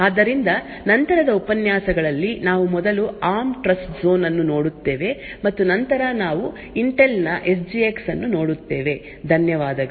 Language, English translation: Kannada, So, in the lectures that follow, we will be first looking at the ARM Trustzone and then we will be looking at Intel SGX, thank you